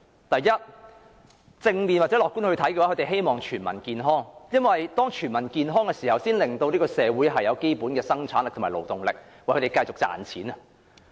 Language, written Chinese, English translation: Cantonese, 第一，從正面或樂觀的角度看，他們希望全民健康，因為這才可令社會有基本的生產力和勞動力，繼續為他們賺錢。, Firstly from a positive or optimistic perspective the ruling class would like to achieve better health for all because this can ensure a basic rate of labour productivity for society and the generation of continuous revenue for the public coffer